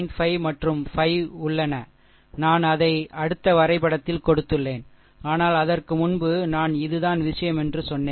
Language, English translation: Tamil, 5 and 5 details, I made it in the next diagram, but ah before that I just told you that this is the thing